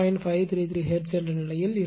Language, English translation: Tamil, 533 hertz right